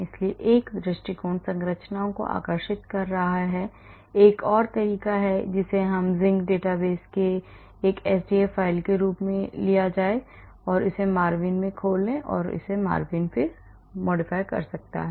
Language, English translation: Hindi, So, one approach is drawing the structures , another approach is to take it from the Zinc database as an sdf file and open it with MARVIN and MARVIN does it